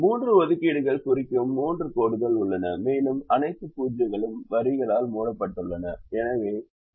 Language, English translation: Tamil, there are three lines indicating three assignments and all the zeros are covered by the lines